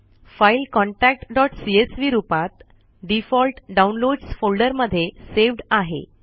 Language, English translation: Marathi, The file is saved as contacts.csv in the default Downloads folder